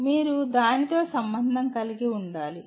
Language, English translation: Telugu, You should be able to relate to that